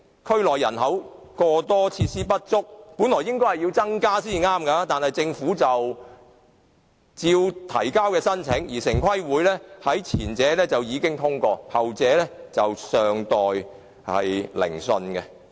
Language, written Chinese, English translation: Cantonese, 區內人口過多、設施不足，本來應該增加休憩用地，但政府仍然提交申請，而城市規劃委員會已經通過前者的申請，後者則尚待聆訊。, As the districts are overpopulated and have inadequate facilities additional open space should be provided . Yet the Government has still submitted the applications . TPB has already approved the former application while the latter has yet to be heard